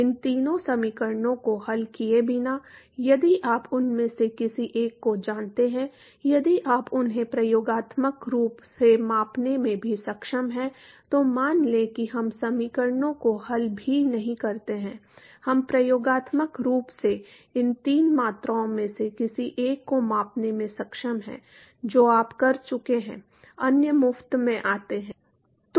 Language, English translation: Hindi, Without solving all of these three equations if you know one of them, if you are able to even experimentally measure them, let us say we do not even solve the equations; we are able to experimentally measure either of these three quantities you are done the others come for free